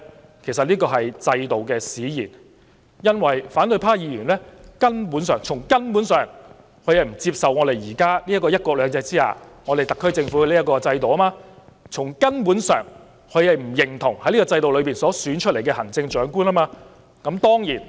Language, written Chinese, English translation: Cantonese, 這其實是制度使然，因為反對派議員根本——是從根本上——不接受我們現時這個在"一國兩制"下的特區政府制度。從根本上，他們不認同在這個制度下選出的行政長官。, It is in fact a consequence of the system a refusal―in the most fundamental sense―by Members of the opposition camp to accept the existing SAR Government system under one country two systems and to recognize the Chief Executive selected under the existing system